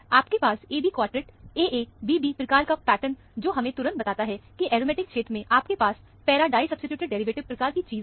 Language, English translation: Hindi, You have a AB quartet, AA prime BB prime kind of a pattern, which immediately tells you that, in the aromatic region, you have a para disubstituted derivative kind of a thing